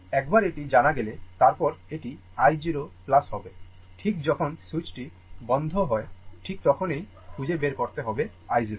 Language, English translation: Bengali, Once i is known, then this i this is the i 0 plus, we have to find out at that time just when switch is just closed i 0